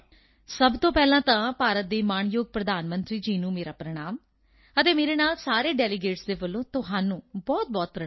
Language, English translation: Punjabi, First of all, my Pranam to Honorable Prime Minister of India and along with it, many salutations to you on behalf of all the delegates